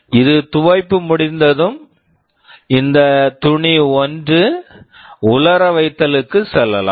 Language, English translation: Tamil, After it is finished with washing, this cloth can go for drying